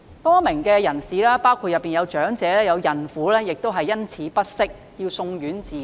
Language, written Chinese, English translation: Cantonese, 多名人士，當中包括長者和孕婦因此感到不適，要送院治理。, A number of people including elderly people and pregnant women felt unwell and had to be sent to the hospital